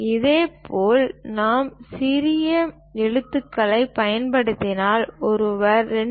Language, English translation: Tamil, Similarly, if we are using lowercase letters, then one has to use 2